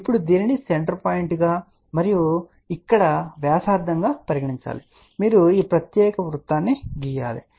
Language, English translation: Telugu, Now, take this as a center point and this as here radius you draw this particular circle, ok